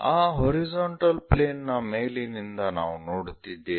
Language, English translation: Kannada, On that horizontal plane from top side we are viewing